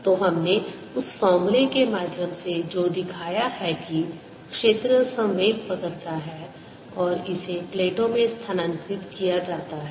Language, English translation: Hindi, so what we have shown through that formula: that field carries momentum and it is transferred to plates